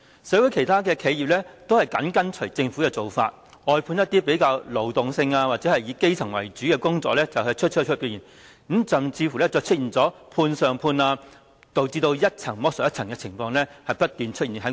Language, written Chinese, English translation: Cantonese, 社會其他企業都緊隨政府的做法，外判一些比較勞動性或者以基層為主的工作出去，甚至出現"判上判"，導致一層剝削一層的情況不斷在勞工界出現。, Companies follow the Governments practice and outsource certain relatively manual or elementary jobs even to the extent of subcontracting thus leading to tiers of continued exploitation in the labour sector